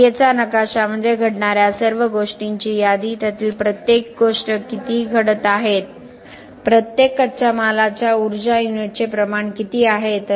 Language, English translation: Marathi, The process map is a list of all the things that are happening, the inventories how much of each is happening, what is the quantity of each raw material unit of energy that went